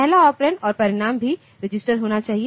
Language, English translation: Hindi, First operand and the result must be register